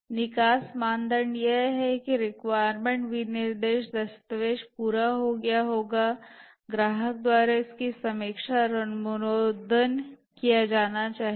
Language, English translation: Hindi, The exit criteria is that the requirement specification document must have been completed, it must have been reviewed and approved by the customer